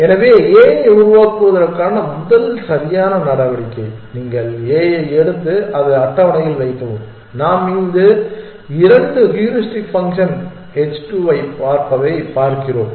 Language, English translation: Tamil, So, the first correct move to make a s u pick up a and put it down on the table and if you look at this second heuristic function h 2 that we are looking at